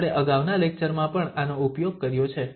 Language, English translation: Gujarati, We have also used this in previous lectures